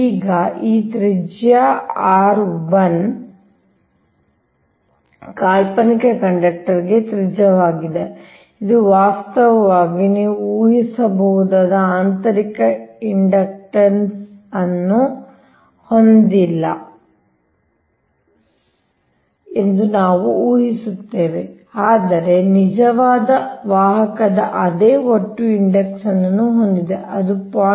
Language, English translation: Kannada, now this radius r one is the radius of the fictitious conductor actually which has, we assume, which has no internal inductance, right, this way you can imagine, but has the same total inductance of the actually conductor